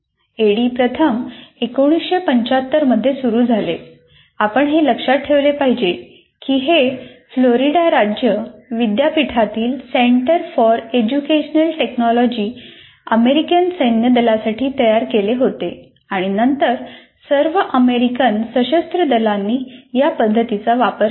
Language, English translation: Marathi, ADI first appeared in 75 and you should remember it was created by the Center for Education Technology at Florida State University for the US Army and then quickly adopted by all the US Armed Forces